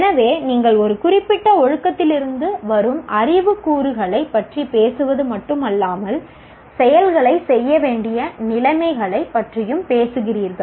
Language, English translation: Tamil, So you not only talk about the knowledge elements from a particular discipline, you also talk about the conditions under which the actions have to be performed